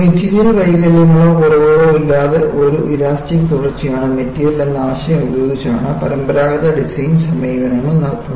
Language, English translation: Malayalam, The conventional design approaches are done with the premise that, the material is an elastic continuum, without any material defects or flaws